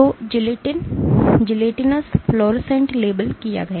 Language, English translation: Hindi, So, gelatinous fluorescently labeled